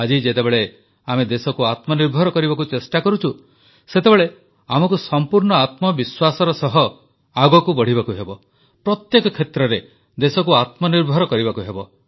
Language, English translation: Odia, Today, when we are trying to make the country selfreliant, we have to move with full confidence; and make the country selfreliant in every area